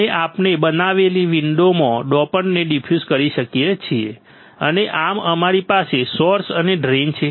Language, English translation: Gujarati, And we can diffuse the dopant in the window created and thus we have the source and drain